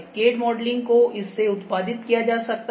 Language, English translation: Hindi, So, CAD modeling can be produced out of this ok